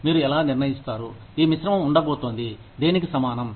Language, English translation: Telugu, How do you decide, which mix is going to be, equivalent to what